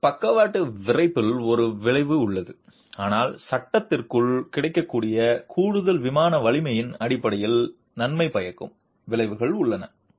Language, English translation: Tamil, So, there is an effect in lateral stiffening but there is also beneficial effect in terms of additional in plain strength available to the frame